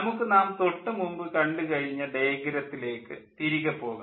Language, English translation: Malayalam, lets go back to the diagram, which we have seen, but we can now explain it